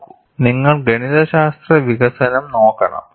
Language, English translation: Malayalam, See, you have to look at the mathematical development